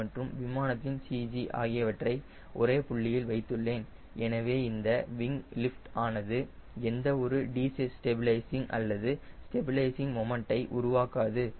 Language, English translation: Tamil, i have put ac of the wing and the cg of the aircraft at same point, so this wing lift will not create any either a destabilizing or a stabilizing moment